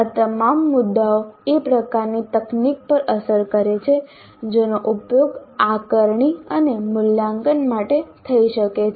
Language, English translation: Gujarati, Now all these points do have a bearing on the kind of technology that can be used for assessment and evaluation